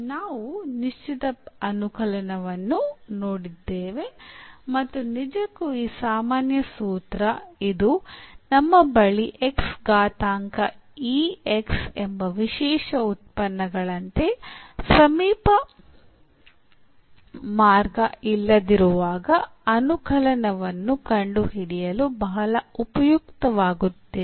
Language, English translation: Kannada, So, coming to the conclusion now that we have seen the particular integral and indeed this general formula which will be very useful to find the integral when we do not have such a shortcut method which was discuss just like special functions x power e x